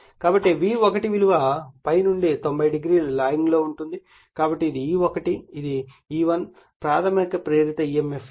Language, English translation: Telugu, So, that means, my V1 will be your what you call lagging from ∅ / 90 degree therefore, this is my E1 this is my E1 the primary induced emf